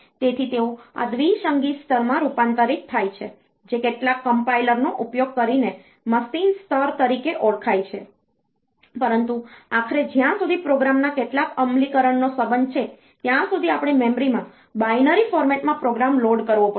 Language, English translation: Gujarati, So, they are converted into this binary level which is known as a machine level by using some compilers, but ultimately as far as the some execution of the program is concerned, we have to load the program in binary format into the memory